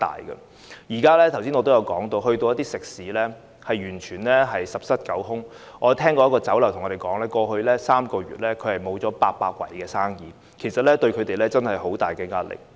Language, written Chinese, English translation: Cantonese, 正如我剛才所說，現在到訪一些食肆，可見完全是十室九空，有一間酒樓告訴我們，在過去3個月損失了800桌的生意，對他們造成很大的壓力。, As I said just now when I visit some restaurants nowadays it can be seen that there are no customers at all . A Chinese restaurant told us that they had lost business of 800 tables in the past three months therefore exerting enormous pressure on them